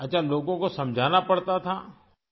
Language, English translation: Urdu, Okay…did you have to explain people